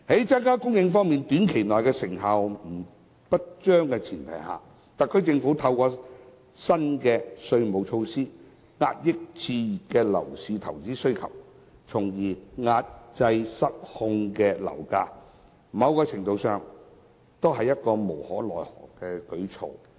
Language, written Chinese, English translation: Cantonese, 在增加房屋供應方面短期內成效不彰的前提下，特區政府透過新的稅務措施，遏抑熾熱的樓市投資需求，從而抑制失控的樓價，某程度上是無可奈可的舉措。, On the premise that the increase in housing supply has been ineffective in the short run the SAR Government has adopted a new taxation measure to suppress the investment demand in the exuberant property market and hence curb the uncontrollable property prices . To a certain extent this measure is taken as no other alternative is available